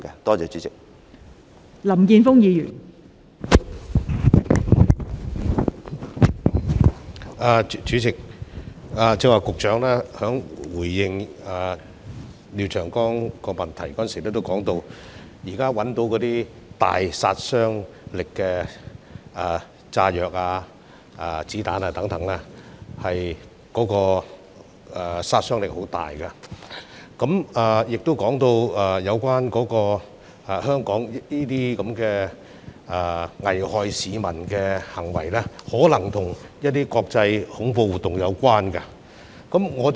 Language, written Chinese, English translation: Cantonese, 代理主席，剛才局長在回應廖長江議員的主體質詢時提到，現時破獲的炸藥和子彈等均具有極大殺傷力，並提到這些危害香港市民的行為，可能與一些國際恐怖活動有關。, Deputy President in response to the main question of Mr Martin LIAO the Secretary mentioned that the explosives and bullets currently seized were very powerful and that such acts which would endanger Hong Kong peoples lives might be related to some international terrorist activities